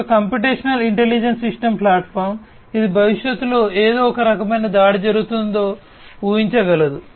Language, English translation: Telugu, A computational intelligent system platform, which can predict if there is some kind of attack that is going to come in the future